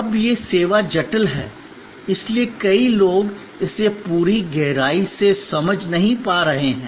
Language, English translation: Hindi, Now, this services complex, so many people may not be able to understand it in full depth